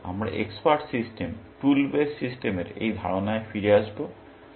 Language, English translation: Bengali, Then, we will come back to this idea of expert systems, tool based systems